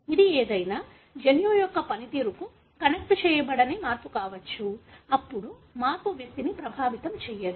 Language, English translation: Telugu, It could be a change no way connected to the function of any gene, then the change does not affect the individual